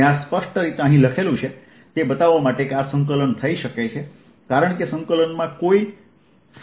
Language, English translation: Gujarati, i wrote this explicitly out here just to show that this can be integrated over, because in the integrant there is no phi